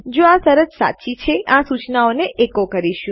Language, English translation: Gujarati, If this condition is true, we will echo this message